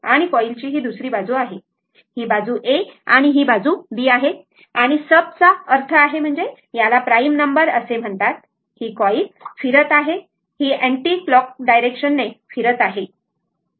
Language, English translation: Marathi, This is other side of the coil, this is side A and this is side B and by sub means, it is called prime number say this coil is revolving, it is rotating in the anticlockwise direction